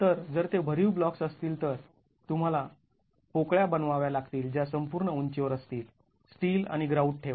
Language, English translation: Marathi, So, if it is solid blocks you have to make voids that run along the entire height, place the steel and grout and that is what you see here